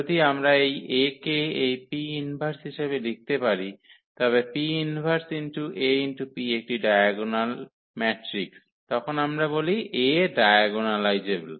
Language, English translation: Bengali, If we can write down this A as this P inverse the P inverse AP is a diagonal matrix then we call that this A is diagonalizable